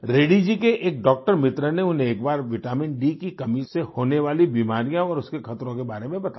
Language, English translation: Hindi, A doctor friend of Reddy ji once told him about the diseases caused by deficiency of vitamin D and the dangers thereof